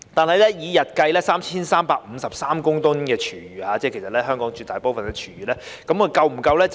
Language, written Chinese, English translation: Cantonese, 但是，以日計達 3,353 公噸的廚餘，即香港絕大部分的廚餘，這些設施是否足夠呢？, However are these facilities adequate for treating the 3 353 tonnes of food waste generated per day which account for the vast majority of food waste in Hong Kong?